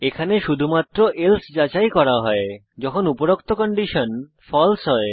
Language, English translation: Bengali, Here else is checked only when above conditions are false